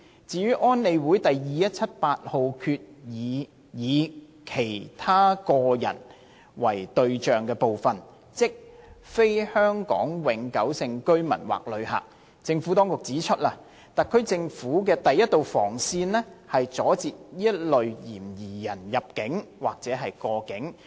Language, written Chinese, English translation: Cantonese, 至於安理會第2178號決議以"其他個人"為對象的部分，即非香港永久性居民或旅客，政府當局指出，特區政府的第一道防線是阻截此類嫌疑人入境或過境。, Regarding the part targeting other individuals of UNSCR 2178 the Administration has pointed out that the Government of the Hong Kong Special Administrative Region HKSAR will stop the entry or transit of such suspected persons as the first line of defence